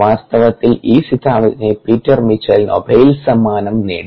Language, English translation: Malayalam, in fact, peter mitchell won the nobel prize for this hypothesis